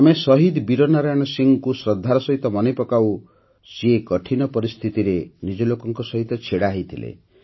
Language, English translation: Odia, We remember Shaheed Veer Narayan Singh with full reverence, who stood by his people in difficult circumstances